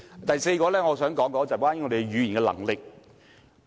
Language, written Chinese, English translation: Cantonese, 第四，我想談談我們的語言能力。, Fourth I would like to talk about our language proficiency